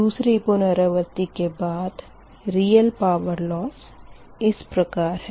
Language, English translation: Hindi, second iteration, that is a real power loss, right